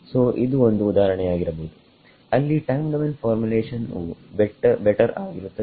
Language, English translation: Kannada, So, that might be one example where time where time domain formulation is better